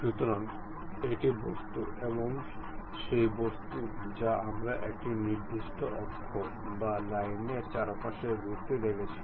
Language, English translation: Bengali, So, this is the object and that object we are going to revolve around certain axis or line